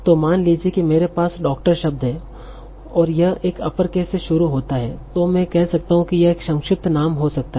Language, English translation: Hindi, So suppose I have doctor and it starts with an uppercase, I can say that this might be an abbreviation